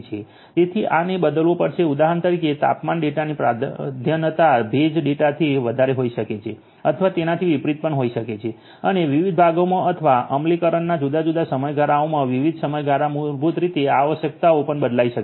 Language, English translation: Gujarati, So, these will have to change for example, temperature data may have higher priority compared to humidity data or vice versa and in different parts or different periods of implementation different time periods basically these requirements may also change